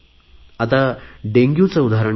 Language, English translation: Marathi, Take the case of Dengue